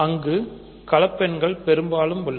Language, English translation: Tamil, So, there is multiplication on complex numbers